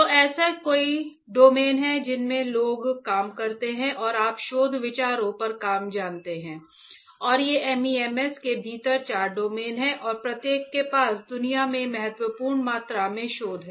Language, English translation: Hindi, So, there are several domains in which people work and you know work on research ideas and these are four domains within the MEMS and each one has a significant amount of research in world